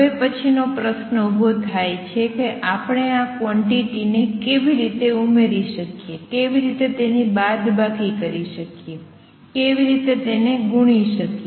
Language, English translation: Gujarati, The next question that arises is how do we multiply add subtract these quantities